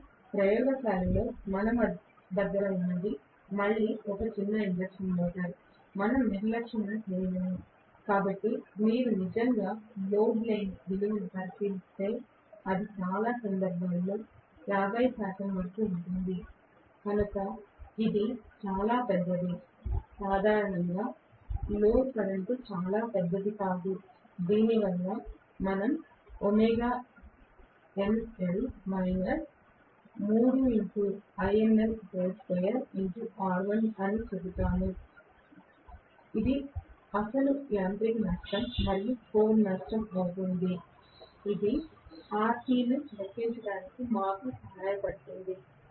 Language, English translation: Telugu, But is a small induction motor again what we have in the laboratory an all we could not careless, so if you look at actually the value of the no load it can be as high as 50 percent even in many cases, so it is very large normally the no load current is very large because of which we will say W no load minus 3I no load square R1, this will be the actual mechanical loss plus the core loss, this will be the actual mechanical loss plus core loss, which will help us to calculate RC